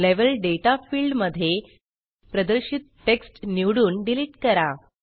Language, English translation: Marathi, In the Level Data field, first select and delete the text displayed